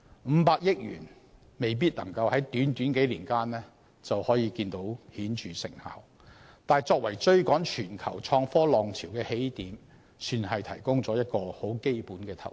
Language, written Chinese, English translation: Cantonese, 五百億元未必能夠在短短數年間取得顯著成效，但作為追趕全球創科浪潮的起點，亦算是提供了一種很基本的投資。, While the 50 billion may not be able to achieve marked results in just a few years time it may be seen as some kind of basic investment a starting point to catch up with the global innovation and technology wave